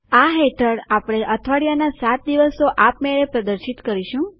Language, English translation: Gujarati, Under this, we will display the seven days of the week automatically